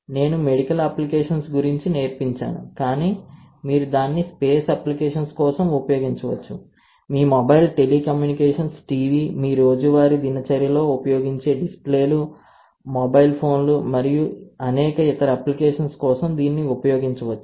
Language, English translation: Telugu, I have taught about something on the medical side, but you can use it for space, you can use it for a lot of other applications including your mobile telecommunications, TV, right, displays that you use it in a daily routine, mobile phones and automobiles and a lot of other places, right